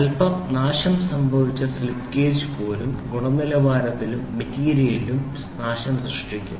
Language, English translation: Malayalam, Since even a slighter is worn out a slip gauge to create a havoc in the quality and material